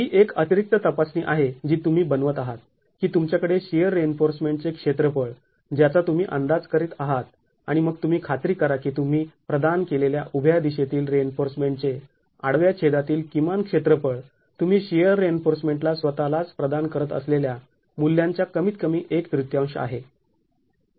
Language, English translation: Marathi, So this is an additional check that you would make, that you have the area of shear reinforcement that you are estimating and then ensure that the vertical, in the vertical direction, the minimum cross section area of reinforcement that you have provided is at least one third of the value that you are providing for the shear reinforcement itself